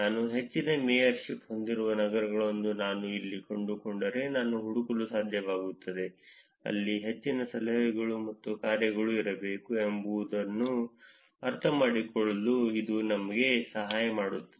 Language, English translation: Kannada, This is helping us to understand that where if I find cities which I have a high mayorship, I should be able to find, there should be more of tips and dones also there